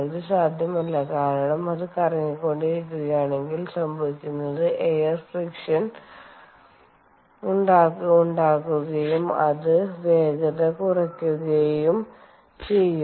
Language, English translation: Malayalam, it is not possible, because if i have it, if i keep it rotating, then what happens is it is going to have air friction and it will slow down